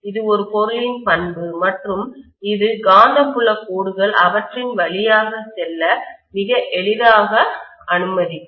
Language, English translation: Tamil, It is a material property and it is going to allow the magnetic field lines to pass through them very easily